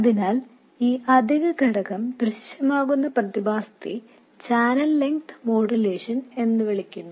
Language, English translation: Malayalam, So, the phenomenon by which this additional factor appears is known as channel length modulation